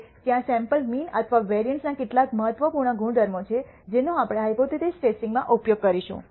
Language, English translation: Gujarati, Now, there are some important properties of the sample mean and variance which we will use in hypothesis testing